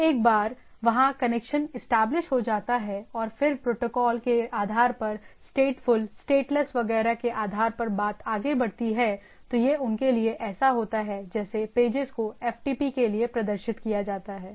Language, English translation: Hindi, So, once that is there the connection is established, and then goes on thing based on the whether is a statefull, stateless etcetera based on the protocol thing right, it is like for these it is the page is displayed for FTP